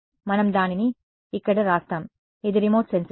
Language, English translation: Telugu, Let us just write it over here, this is remote sensing